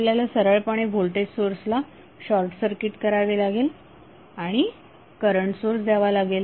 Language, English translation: Marathi, You have to simply short circuit the voltage source and apply the current source